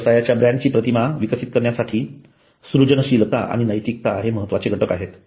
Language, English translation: Marathi, Creativity and ethics are crucial elements in developing brand image